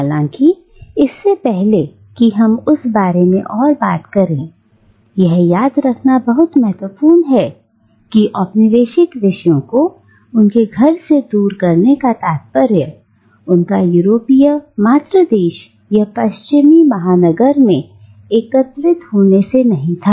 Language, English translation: Hindi, However, before we deal with that, it is again important to remember that not every dispersion of colonial subjects from their homelands meant a gathering in the European mother country or in the Western metropolis